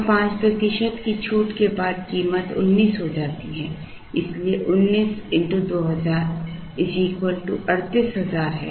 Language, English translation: Hindi, And after a 5 percent discount the price becomes 19 so 19 into 2000 is 38,000